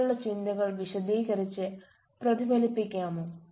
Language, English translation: Malayalam, please explain and reflect on your thoughts